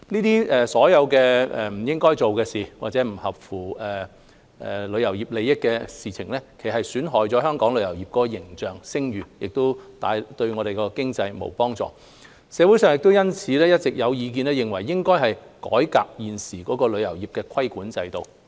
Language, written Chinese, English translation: Cantonese, 這些不應該做的事，或者不合乎旅遊業利益的事情，其實是在損害本港旅遊業的形象和聲譽，對我們的經濟沒幫助，社會上因此有意見認為，應改革現時的旅遊業規管制度。, Those are acts which members of the industry should not commit or acts which are not in the interests of the industry . In fact such acts will damage the image and reputation of the travel industry of Hong Kong and not help our economy . Thus there are views in society that we should reform the existing regulatory regime of the travel industry